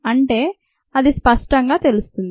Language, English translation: Telugu, so that is clear